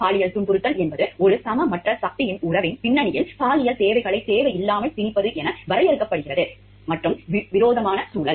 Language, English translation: Tamil, Sexual harassment is defined as the unwanted imposition of sexual requirements in that context of an relationship of a unequal power, so quid pro quo and hostile environment